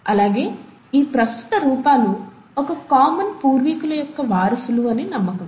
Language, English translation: Telugu, And these present forms are believed to be the descendants of a common ancestor